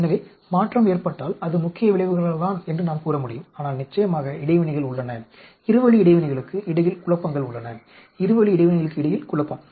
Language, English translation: Tamil, So, if there will be change, we can say it is because of the main effects, but then of course there are interactions, there are confounding between the two way interactions confounding between the two way interactions